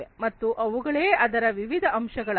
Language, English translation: Kannada, And these are the different components of it